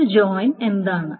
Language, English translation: Malayalam, So what is a join